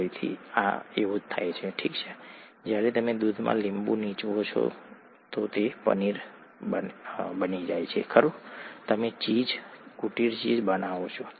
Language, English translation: Gujarati, same thing happens when you squeeze a lemon into milk, okay you form paneer, right, you form cheese, cottage cheese